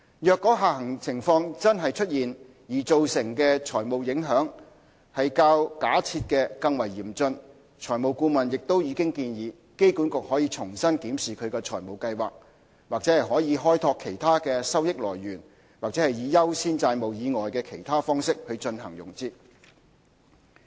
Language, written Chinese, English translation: Cantonese, 若下行情況真的出現而造成的財務影響較假設的更為嚴峻，財務顧問亦已建議機管局可重新檢視其財務計劃——或可開拓其他的收益來源，或以優先債務以外的其他方式進行融資。, The financial advisor recommended that in case the financial impact of the downside scenarios was more severe than assumed AA should revisit its financial plan . AA may also develop other revenue streams or access alternative forms of financing other than senior debt